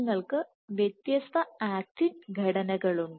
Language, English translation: Malayalam, You have various different actin structures